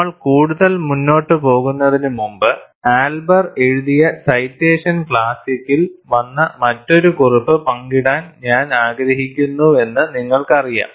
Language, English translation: Malayalam, And before we move further, and I would also like to share the another note, which came in the citation classic, which Elber wrote